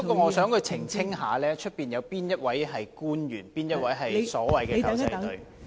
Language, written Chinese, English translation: Cantonese, 我想他澄清，會議廳外有哪位官員是所謂的"狗仔隊"？, I want him to clarify that among the government officials outside this Chamber who are the paparazzi?